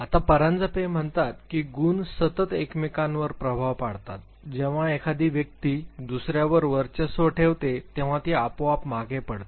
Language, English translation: Marathi, Now, Paranjpe says that Gunas basically they constantly influence each other when one dominates the other one automatically recedes